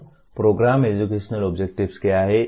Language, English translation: Hindi, Now, what are Program Educational Objectives